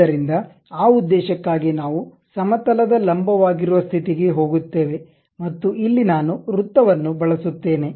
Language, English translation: Kannada, So, for that purpose we will go to normal to plane and somewhere here what I am going to do is use a Circle